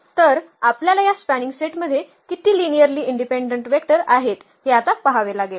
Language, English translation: Marathi, So, we have to see now how many linearly independent vectors we have in this spanning set